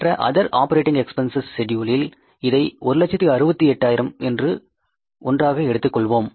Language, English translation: Tamil, In that schedule, in the other operating expenses schedule we have taken it together as 168,000